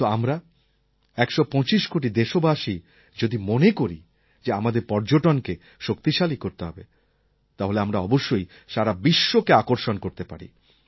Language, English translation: Bengali, But if we, 125 crore Indians, decide that we have to give importance to our tourism sector, we can attract the world